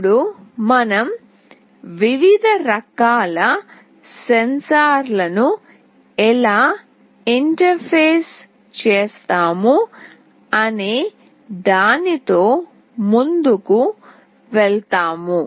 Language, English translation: Telugu, Now we will be moving on with how do we interface various kinds of sensors